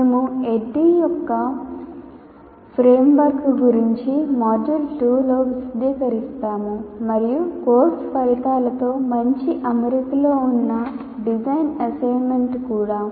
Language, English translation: Telugu, So, we will be elaborating in the module 2 about the framework of ADDI and also design assessment that is in good alignment with course outcomes